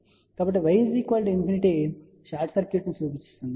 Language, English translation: Telugu, So, y equal to infinity will represent short circuit